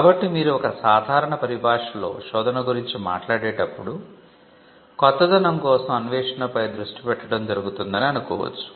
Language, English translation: Telugu, So, in common parlance when you talk about a search, it is easy for somebody to focus on a search for novelty